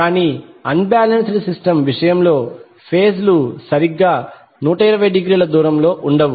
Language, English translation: Telugu, But in case of unbalanced system the phases will not be exactly 120 degree apart